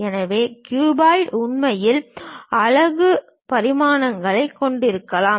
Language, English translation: Tamil, So, the cuboid might be having unit dimensions in reality